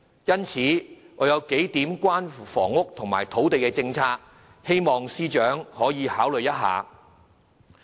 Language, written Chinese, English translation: Cantonese, 因此，我有數項關於房屋和土地政策的論點，希望司長可以考慮一下。, Hence I hope consideration would be given by the Financial Secretary to the following few points raised on housing and land policies